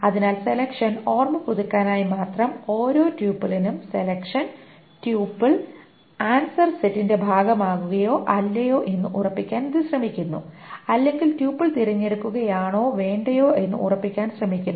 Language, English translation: Malayalam, So selection, just to recap, selection, for every tuple, it tries to ascertain whether the tipple can be part of the answer set or not, whether the tipple should be selected or not